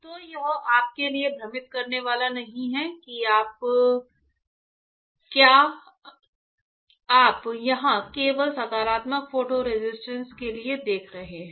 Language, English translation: Hindi, So, it is not confusing for you are you see here only for positive photo resist ok